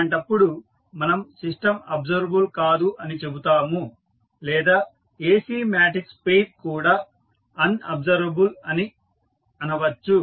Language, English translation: Telugu, In that case, we will say that the system is not observable or we can say that the matrix pair that is A, C is unobservable